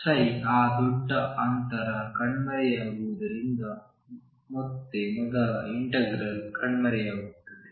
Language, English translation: Kannada, Again the first integral vanishes because psi vanish that large distances